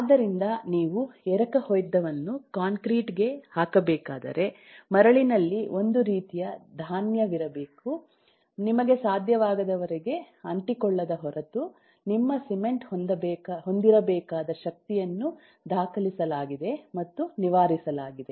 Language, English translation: Kannada, so if you have to cast a, cast a concrete, the kind of grain that the sand should have, the kind of casting strength you cement should have, are all documented and fixed